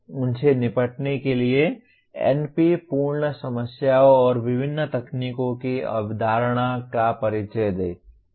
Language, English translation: Hindi, Introduce the concept of NP complete problems and different techniques to deal with them